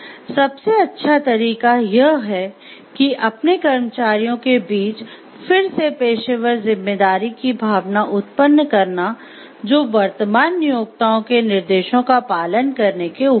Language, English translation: Hindi, The best way is to generate again a sense of professional responsibility among their staff that reaches beyond merely, obeying the directives of current employers